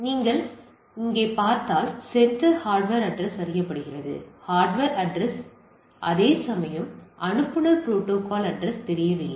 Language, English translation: Tamil, And if you see here the sender hardware address is a known; hardware address is known, where as sender protocol address is unknown